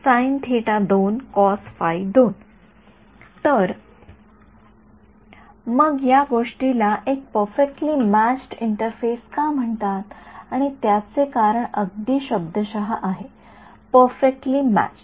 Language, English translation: Marathi, So, what why is this thing called a perfectly matched interface and the reason is very very literal perfectly matched